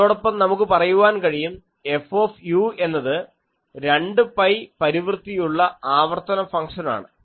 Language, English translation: Malayalam, And we always say that F u is a repeats periodic function with 2 pi is the period